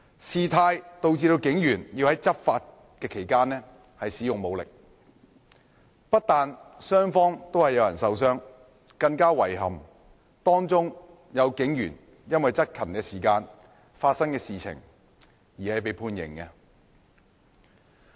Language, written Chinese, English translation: Cantonese, 事態導致警員要在執法期間使用武力，不但雙方都有人受傷，更遺憾的是，當中有警員因為執勤期間發生的事情而被判刑。, The situation warranted the use of force by police officers in the course of law enforcement . Not only were there injuries on both sides some police officers were sentenced for things happened in the course of discharging their duties which is even more regrettable